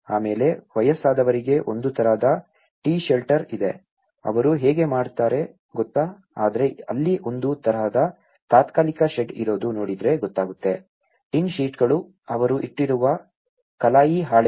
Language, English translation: Kannada, Then, for elderly people there is a kind of T Shelter, you know how they can also but if you look at there is a kind of temporary shed, you know the tin sheets, the galvanized sheets they have kept it